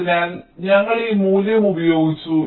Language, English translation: Malayalam, ok, so we have used this value